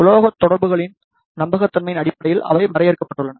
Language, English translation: Tamil, They are also limited in terms of reliability of the metal contacts